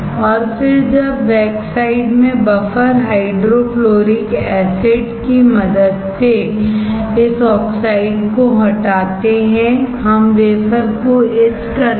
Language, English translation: Hindi, Then when the backside we remove this oxide with help of buffer hydrofluoric acid we etch the wafer, right